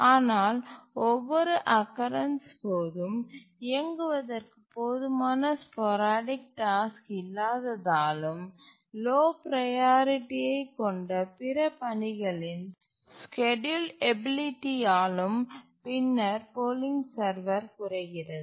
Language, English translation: Tamil, But then since on every occurrence there may not be enough sporadic tasks to run, the schedulability of the other tasks which are lower priority than the polling server become less